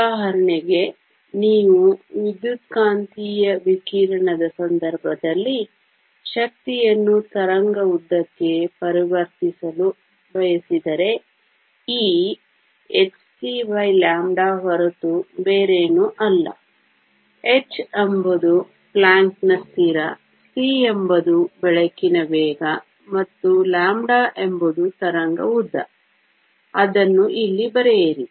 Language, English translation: Kannada, For example, if you want to convert energy into wave length in the case of electromagnetic radiation E is nothing but h c over lambda, where h is the Planck’s constant, c is the velocity of light, and lambda is the wave length; write it here